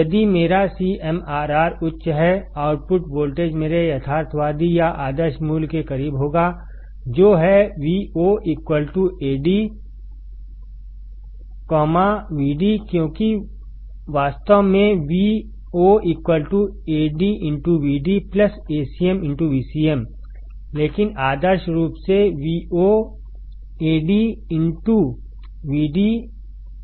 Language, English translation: Hindi, If my CMRR is high; output voltage will be close to my realistic or ideal value, which is Vo equals to Ad; Vd because in reality Vo equals to Ad into Vd plus Acm into Vcm, but ideally Vo would be Ad into Vd